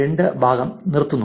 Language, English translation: Malayalam, 2 part of the week